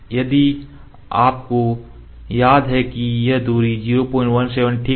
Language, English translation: Hindi, If you remember this distance was 0